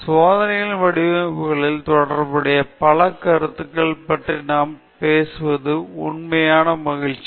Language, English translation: Tamil, It has been a real pleasure to talk about the various concepts associated with the Design of Experiments